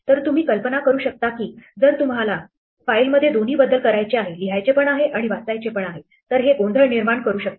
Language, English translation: Marathi, So, you can imagine that if you are making changes to a file by both reading it and writing it, this can create confusion